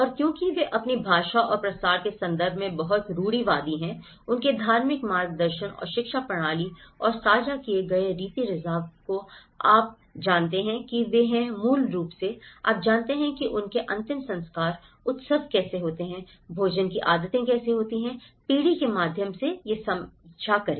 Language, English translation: Hindi, And because they are also very conservative in terms of spreading their language and through their religious guidance and the education systems and the shared customs you know they are basically, you know how their funerals, how the festivals, how the food habits, they try to share that through generation to generation